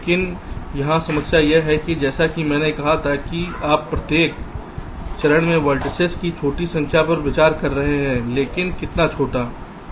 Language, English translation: Hindi, but the problem here is that, as i had said, you are considering small number of vertices at each steps, but how small